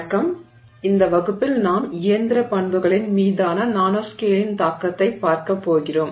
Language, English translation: Tamil, Hello, in this class we are going to look at the impact of nanoscale on mechanical properties